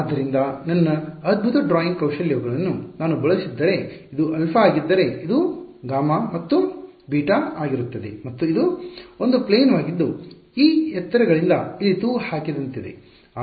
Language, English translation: Kannada, So, it is going to be if I am going to use my fantastic drawing skills this would be alpha then gamma and beta and it is a plane that is at suspended by these heights over here ok